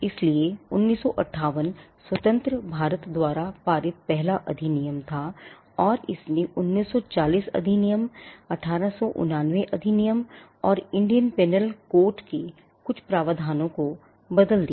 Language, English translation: Hindi, So, 1958 was the first act passed by independent India, and it replaced the 1940 act, the 1889 act and some provisions of the Indian penal court